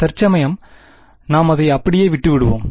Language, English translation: Tamil, For now we will leave it as it is